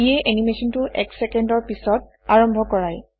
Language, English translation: Assamese, This has the effect of starting the animation after one second